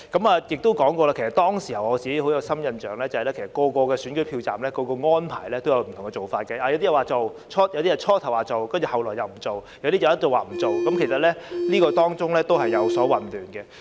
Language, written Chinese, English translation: Cantonese, 我也說過，我對當時有很深刻的印象，不同投票站有不同的安排，部分投票站初時說做，但後來又沒有做，部分則一直都沒有做，其實當中亦有混亂的情況。, As I have said before I have a vivid impression of the situation at that time . The arrangements adopted at different polling stations varied . While some polling stations indicated initially that a caring queue would be set up they did not do so in the end whereas some never did so all along